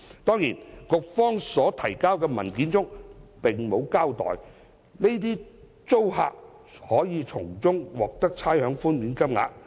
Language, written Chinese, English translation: Cantonese, 當然，局方提交的文件並沒有交代這些租客可從中獲得的差餉寬免金額。, Of course the paper submitted by the Bureau has not accounted for the amounts of rates concession received by these tenants